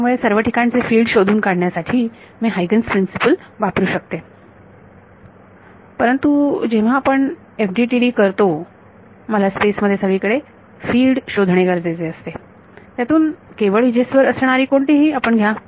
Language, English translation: Marathi, So, that I can apply Huygen’s principle to find out the field everywhere, but when you do FDTD I have to find out the fields everywhere in space, from that only take out what is along the edges